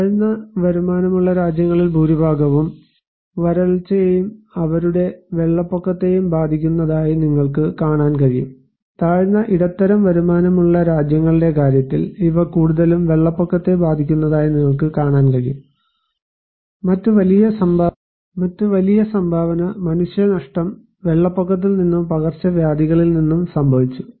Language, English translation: Malayalam, So, low income countries you can see that most they are affected by drought and also their flood, in case of lower middle income group countries, you can see that these they are affected mostly by the flood, and the other bigger contribution of human losses came from flood and also from epidemic